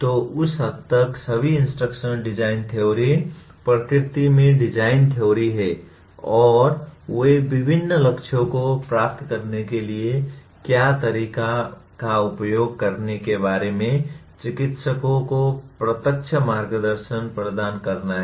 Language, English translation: Hindi, So to that extent all instruction design theories are design theories in nature and they are intended to provide direct guidance to practitioners about what methods to use to attain different goals